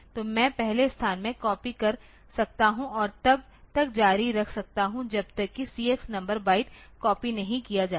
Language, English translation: Hindi, So, I can copy a from the first location and continue till the CX number of bites have been copied